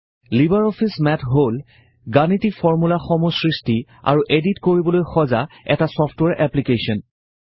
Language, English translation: Assamese, LibreOffice Math is a software application designed for creating and editing mathematical formulae